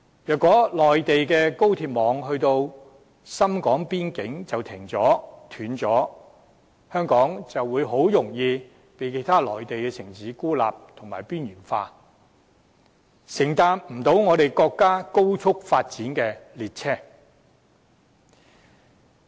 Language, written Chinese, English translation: Cantonese, 如果內地高鐵網到達深港邊境便停頓了，香港就很容易被其他內地城市孤立和邊緣化，無法搭上國家高速發展的列車。, If the national high - speed rail network stops short at the border between Hong Kong and Shenzhen Hong Kong finding itself an easy target of isolation and marginalization by other Mainland cities will fail to get on board the train of rapid national development